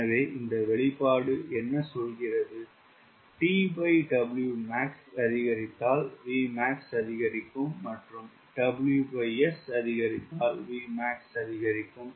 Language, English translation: Tamil, so what is this expression is telling that v max will increase if t by w max increases